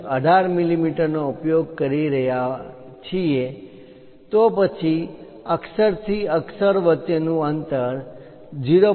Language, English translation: Gujarati, 18 millimeters as the thickness, then the gap between letter to letter supposed to be 0